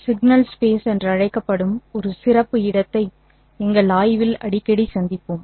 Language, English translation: Tamil, Let us consider a very special space called as the signal space which we will be encountering quite often in our study